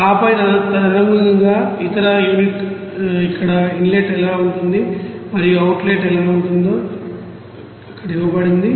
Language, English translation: Telugu, And then accordingly also other unit like what will be the inlet there and what will be the outlet there it is given there